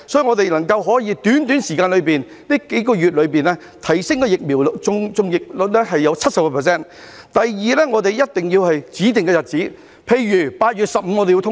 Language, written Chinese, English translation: Cantonese, 我們要在這幾個月內提升疫苗的接種率至 70%； 第二，我們一定要在指定日子，例如8月15日通關。, We must first raise the vaccination rate to 70 % within these few months . Second we have to set a specific date for the resumption of cross - border travel eg . 15 August